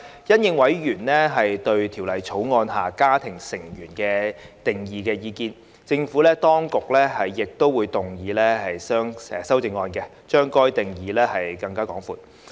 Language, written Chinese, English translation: Cantonese, 因應委員對《條例草案》下"家庭成員"定義的意見，政府當局亦會動議修正案，把該定義擴闊。, In response to members views on the definition of family member under the Bill the Administration will also move an amendment to expand the definition